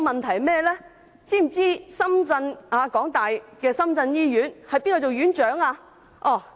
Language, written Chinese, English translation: Cantonese, 再者，大家知否香港大學的深圳醫院是由誰擔任院長？, Besides do you know who the Hospital Chief Executive of the University of Hong Kong - Shenzhen Hospital is?